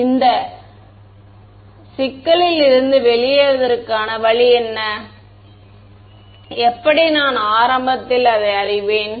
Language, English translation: Tamil, So, how will I what is the way out of this problem, how will I know it in the beginning